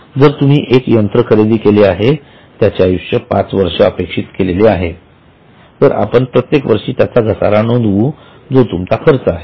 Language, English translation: Marathi, So, if you have purchased machinery, life is expected to be five years, then every year you will depreciate